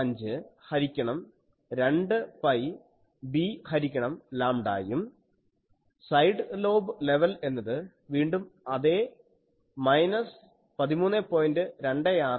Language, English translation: Malayalam, 5 by 2 pi b by lambda and the side lobe level is again the same minus 13